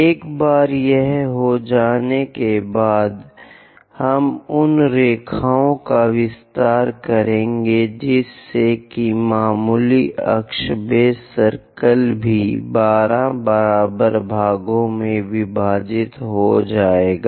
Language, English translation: Hindi, Once it is done, we will extend those lines so that there will be minor axis base circle also divided into 12 equal parts